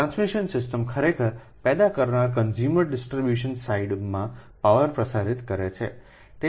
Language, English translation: Gujarati, so transmission system actually transmits power from the generating to the consumer distribution side